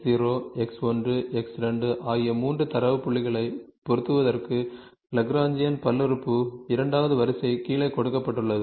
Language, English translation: Tamil, A second order Lagrangian polymer is given is given below for fitting the 3 data points X, X0, X1, X2